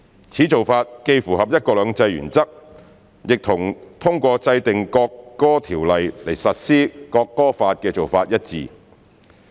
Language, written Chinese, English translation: Cantonese, 此做法既符合"一國兩制"原則，亦和通過制定《國歌條例》來實施《國歌法》的做法一致。, This approach is consistent with the one country two systems principle as well as the implementation of the Law of the Peoples Republic of China on the National Anthem through the enactment of the National Anthem Ordinance NAO